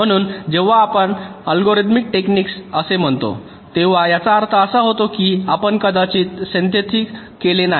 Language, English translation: Marathi, so when you say algorithmic technique, it means that we have possibly not yet carried out the synthesis